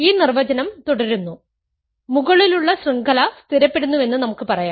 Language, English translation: Malayalam, We say that so, the definition continues, we say that the above chain stabilizes